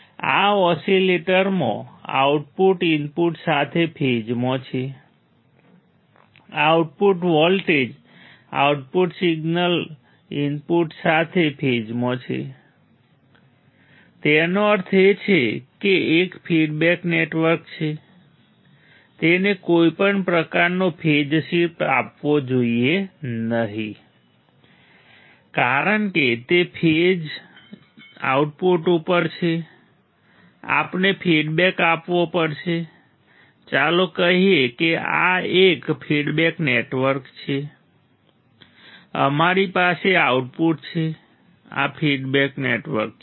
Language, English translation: Gujarati, In this oscillator there the output is in phase with the input; the output voltage output signal is in phase with the input; that means, there is a feedback network should not give any kind of a phase shift right because same phase is at output, we have to feedback let us say this is a feedback network we have a output right this is a feedback network